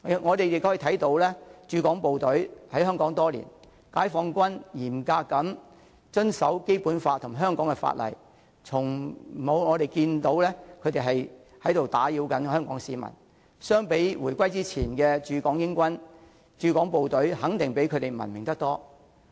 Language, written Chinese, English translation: Cantonese, 我們可以看到解放軍駐港部隊在香港多年，嚴格遵守《基本法》及香港法例，從沒有看到他們打擾香港市民，相比回歸之前的駐港英軍，駐港部隊肯定比他們文明得多。, As we can see members of the Peoples Liberation Army have stationed in Hong Kong for many years and have strictly complied with the Basic Law and the laws of Hong Kong without causing any harassment to Hong Kong people . Compared with the British Forces stationed in Hong Kong before the reunification members of the Peoples Liberation Army are surely much more civilized